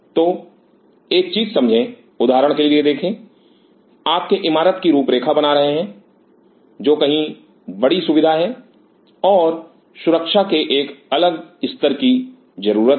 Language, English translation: Hindi, So, realize one thing see for example, you are designing a building which is far bigger facility and needs a different level of security